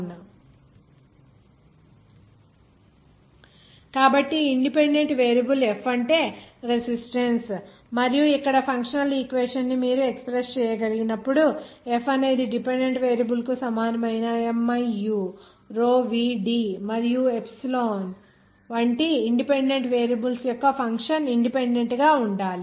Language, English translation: Telugu, So this dependent variable is f that is resistance and here functional equation as you can then express as that F equal to that dependent variables should be independent as a function of independent variables like miu, row, v, d, and epsilon